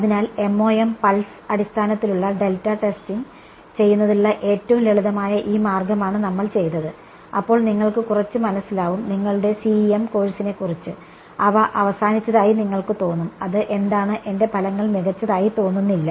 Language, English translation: Malayalam, So, this is what we did the simplest way of doing MoM pulse basis delta testing, then you get a little you know you are your CEM course, you feel a little of ended they are what is this my results are not looking good